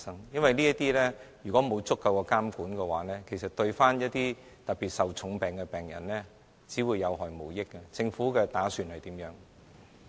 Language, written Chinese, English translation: Cantonese, 因為如果在這方面沒有足夠的監管，其實對一些患重病的病人，只會有害無益，政府打算怎樣做？, The lack of adequate regulation in this regard will definitely do harm to patients with critical illnesses . What does the Government plan to do?